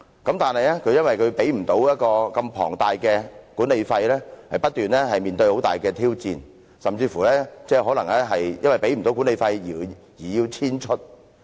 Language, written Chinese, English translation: Cantonese, 可是，由於無法支付龐大的管理費，要不斷面對很大的挑戰，甚至可能因為無法繳付管理費而要遷出。, Regrettably since it cannot afford the exorbitant management fees a constant tall challenge it may have to move out eventually when they cannot pay the management fees